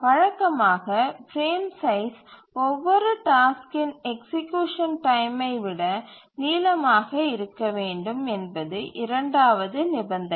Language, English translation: Tamil, The first consideration is that each frame size must be larger than the execution time of every task